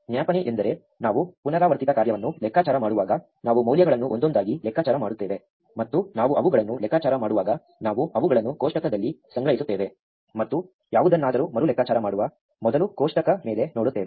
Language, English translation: Kannada, Memoization is the process by which when we are computing a recursive function, we compute the values one at a time, and as we compute them we store them in a table and look up the table before we recompute any